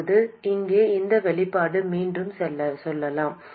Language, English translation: Tamil, Now let's go back to this expression here